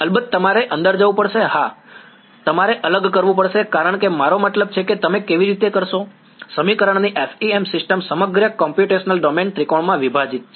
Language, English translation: Gujarati, Of course you have to go yeah inside yeah you have to discretize because I mean how do you, FEM system of equations the entire computational domain is broken up into triangles